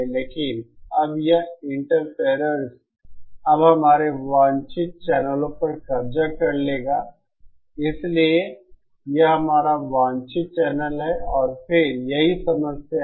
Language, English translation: Hindi, But then now this interferer will now occupy our desired channels, so this is our desired channel, this is our desired channel and then this is the problem